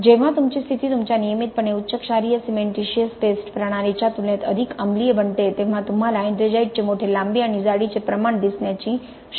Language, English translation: Marathi, That when your conditions become more acidic as compared to your regularly highly alkaline cementitious paste system you have a chance of seeing a larger length to thickness ratio of ettringite